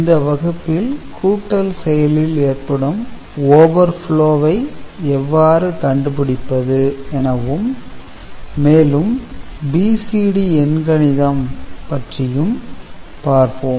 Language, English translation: Tamil, And in today’s class we shall discuss Overflow Detection in adder and also, how to perform BCD Arithmetic